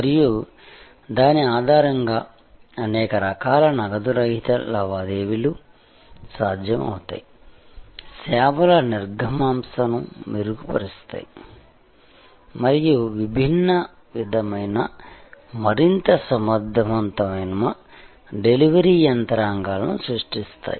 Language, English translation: Telugu, And based on that, many different cash less transactions become possible, enhancing the throughput of services and creating different sort of more efficient delivery mechanisms